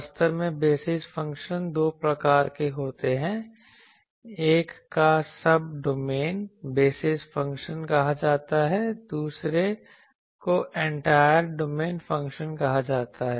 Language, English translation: Hindi, So, actually there are two types of basis functions; one is that called Subdomain basis, Subdomain basis function, another is called Entire domain function